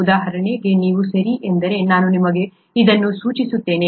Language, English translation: Kannada, For example, if you, okay let me just point this out to you